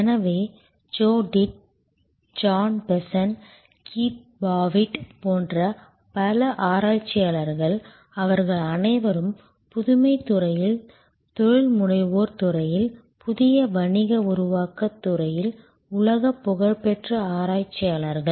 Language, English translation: Tamil, So, many researchers like Joe Tidd, John Bessant, Keith Pavitt, they are all world famous researchers in the field of innovation, in the field of entrepreneurship, in the field of new business creation